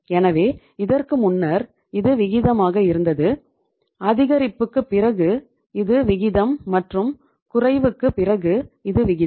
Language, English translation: Tamil, So earlier it was the ratio, after increase this is the ratio and after decrease this is the ratio